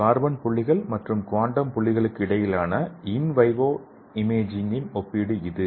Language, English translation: Tamil, And this is the comparison of invivo imaging between carbon dots and quantum dots